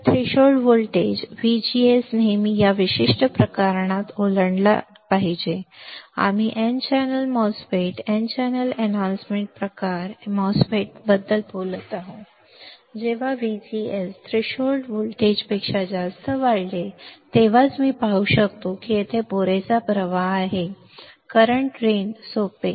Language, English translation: Marathi, So, threshold voltage the VGS should always cross in this particular case, we are talking about n channel MOSFETs n channel enhancement type MOSFETs when VGS is increased greater than threshold voltage, then only I will be able to see that there is a sufficient flow of drain current easy